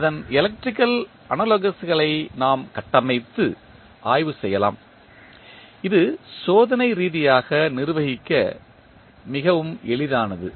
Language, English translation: Tamil, We can build and study its electrical analogous which is much easier to deal with experimentally